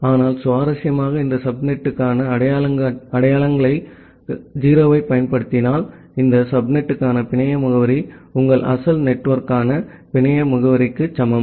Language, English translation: Tamil, But, interestingly if you use 0 as a identifier for this subnet, the network address for this subnet is equal to the network address for the your original network